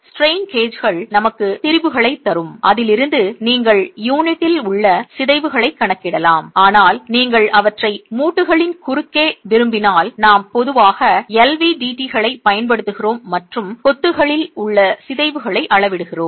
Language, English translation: Tamil, The strain gauges will give us the strains and from which you can calculate deformations in the unit but if you want them across the joints we typically make use of LVDTs and measure the deformations in the masonry